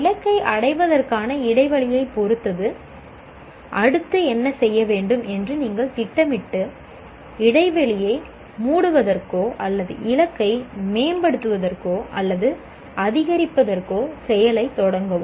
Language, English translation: Tamil, Depending on the attainment gap of the target, you plan what to do next and initiate the action for closing the gap or improving the or increasing the target